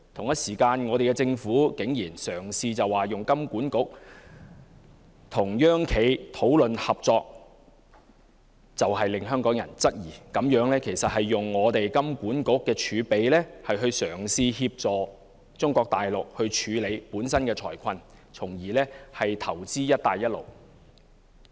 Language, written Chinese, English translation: Cantonese, 可是，我們的政府竟然於此時嘗試由金管局與"央企"討論合作，實令香港人質疑，此舉是以金管局的儲備嘗試協助中國大陸處理本身的財困，從而投資"一帶一路"。, Nonetheless the Government abruptly ventures to have HKMA to explore cooperation with state - owned enterprises at this juncture . The move cannot but beg queries about it trying to use the reserve in HKMA to help Mainland China to resolve its financial crisis and invest in the Belt and Road Initiative